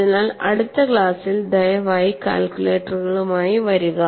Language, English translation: Malayalam, So, please come with the calculators in the next class